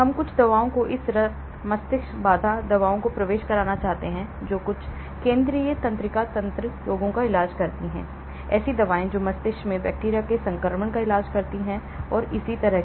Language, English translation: Hindi, we want some drugs to penetrate this blood brain barrier drugs which treats certain central nervous system diseases, drugs which treats bacterial infection in the brain and so on